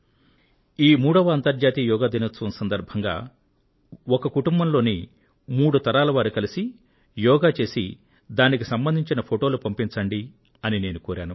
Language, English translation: Telugu, On this Yoga Day, since this was the third International Day of Yoga, I had asked you to share photos of three generations of the family doing yoga together